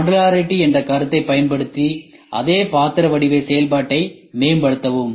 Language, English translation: Tamil, Use the concept of modularity and improve the same utensil shape slash function